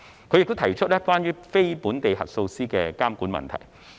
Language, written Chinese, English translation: Cantonese, 他亦提出了有關非本地核數師的監管問題。, He has also brought up the issue of regulation over non - local auditors